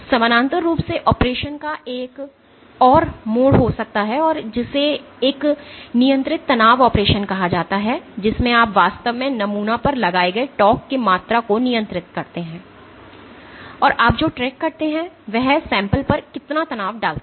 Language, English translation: Hindi, Parallely there can be another mode of operation called a controlled stressed operation, in which you actually control the amount of torque you are imposing on the sample, and what you track is how much strain does it impose on the sample